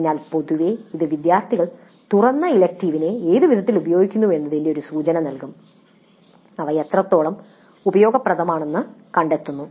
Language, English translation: Malayalam, So this in general will give us an indication as to in what way the open electives are being used by the students to what extent they find them useful